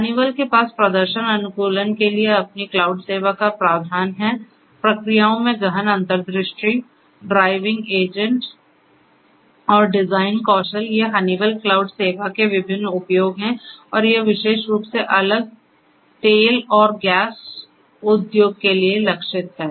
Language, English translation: Hindi, Honeywell also has its own cloud service provisioning for performance optimization, deeper insights into the processes, driving agents and design skills these are different use of the Honeywell cloud service and this is particularly targeted for different oil and gas industries